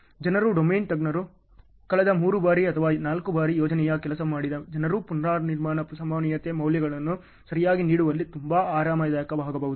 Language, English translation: Kannada, People, the domain experts, people who have worked on a project for last three times or four times may be very comfortable in giving the rework probability values ok